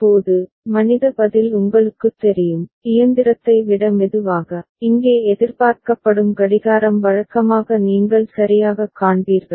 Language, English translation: Tamil, Now, as we said human response is you know, slower than the machine, the clock that is what is expected here that is usually what you will see ok